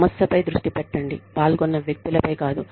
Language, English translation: Telugu, Focus on the issue, and not on the persons, involved